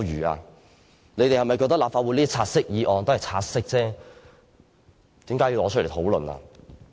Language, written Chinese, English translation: Cantonese, 他們是否覺得立法會的"察悉議案"只需察悉而無須討論？, Do they think that the take - note motion in the Council is just for taking note of but not for discussion?